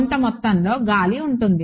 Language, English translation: Telugu, There is some amount of air